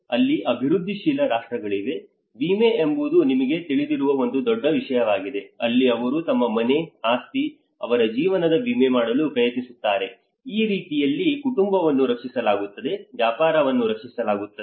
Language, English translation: Kannada, Here in a developing countries, insurance is one big thing you know that is where the whole they try to insure their home, their properties, their life so, in that way the family is protected, the business is protected